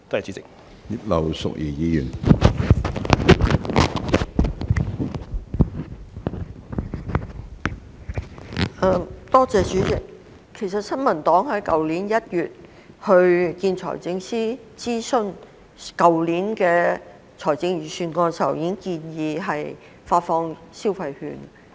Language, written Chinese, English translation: Cantonese, 主席，其實新民黨在去年1月就去年財政預算案的諮詢見財政司司長時，已建議發放消費券。, President in fact when the New Peoples Party met with the Financial Secretary in January last year for the consultation on last years Budget we already proposed the disbursement of consumption vouchers